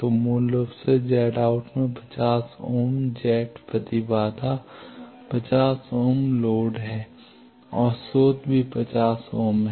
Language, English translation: Hindi, So, basically characteristics impedance 50 ohm Z in Z out is 50 ohm load and source also 50 ohm